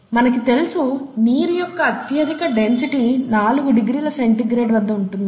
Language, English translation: Telugu, The water has highest density at around 4 degree C that we know